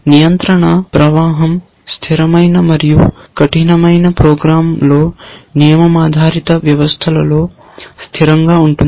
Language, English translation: Telugu, The control flow is fixed and rigid in imperative program, in rule based systems